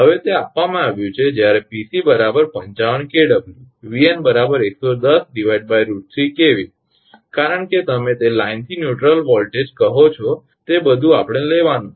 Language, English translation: Gujarati, Now, it is given that when Pc is equal to 55 Vn actually 110 by root 3 kV because everything we have to take your what you call that line to neutral voltage